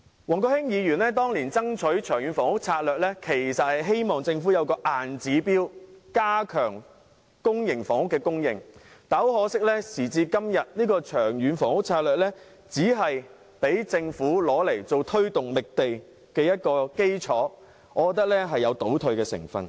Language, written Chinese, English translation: Cantonese, 前議員王國興當年爭取的《長遠房屋策略》，其實是希望政府有個硬指標，加強公營房屋的供應，但很可惜，時至今日，《長遠房屋策略》只是用作讓政府推動覓地的基礎，我認為這有倒退的成分。, On top of that the annual public housing supply will remain at under 20 000 flats in the foreseeable future . Former Legislative Council Member Mr WONG Kwok - hing had fought for the Long Term Housing Strategy back then so that the Government would have a fixed target for increasing public housing supply . Unfortunately the Long Term Housing Strategy now only serves as a basis for the Governments site search which I consider a step backward